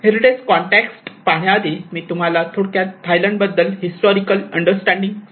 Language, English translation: Marathi, Before coming into the heritage context, let us also brief you about a kind of historical understanding of Thailand